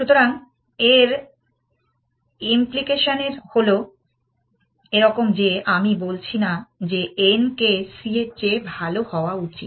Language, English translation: Bengali, So, the implication of this is the following that, I am not saying that n should be better than c